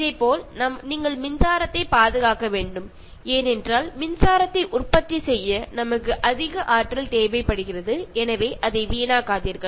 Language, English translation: Tamil, In a similar manner, you need to conserve electricity, because we need so much of energy to produce electricity, so do not waste that